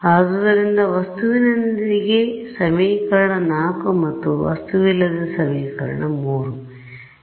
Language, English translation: Kannada, So, with object is equation 4 and without object is equation 3